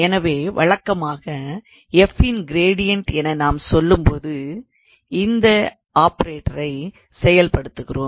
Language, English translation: Tamil, So, usually when we say that gradient of f then we are actually of charging this operator